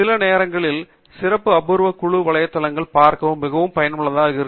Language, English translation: Tamil, Sometimes it is also very useful to visit special interest group websites